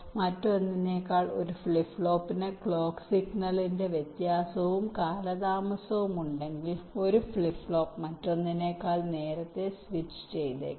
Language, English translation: Malayalam, if there is a variation and delay of the clock signal to one flip flop as compare to the other, then may be one flip flop might get switched earlier than the other